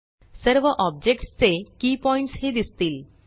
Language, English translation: Marathi, All key points of all objects also appear